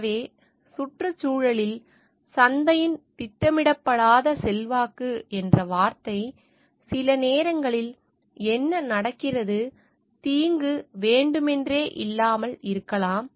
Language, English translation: Tamil, So, the word unintended influence of the marketplace on the environment, because sometimes what happens, like the harm may not be intentional